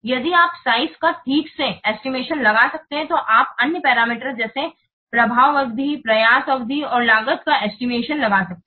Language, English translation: Hindi, If you can estimate properly the size, then you can estimate the other parameters such as effect duration, effort, duration and cost